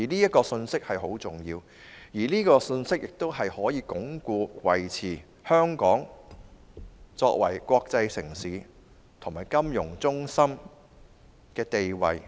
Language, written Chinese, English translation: Cantonese, 這個信息十分重要，是香港鞏固和維持國際城市和金融中心地位的最重要因素。, This vitally important message is the most important factor for Hong Kong to consolidate and maintain its status as an international city and a financial centre